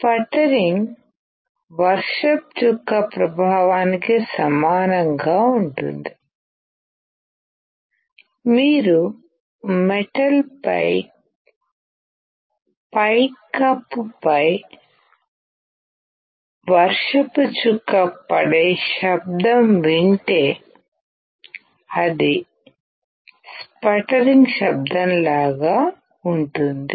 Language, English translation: Telugu, Sputtering is similar to the effect of rain drop; you have heard the rain drop on a metal roof and that sound is similar to sputtering